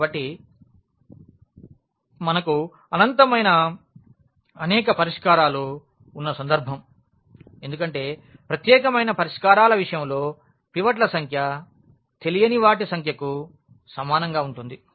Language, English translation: Telugu, So, this is the case where we have infinitely many solutions because in the case of unique solutions the number of pivots will be equal to the number of unknowns